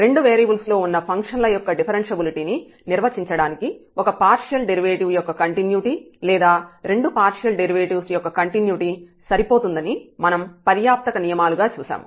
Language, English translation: Telugu, And we have also seen the sufficient conditions where we observe that the continuity of one derivative or continuity of both partial derivatives is sufficient for defining differentiability of functions of two variables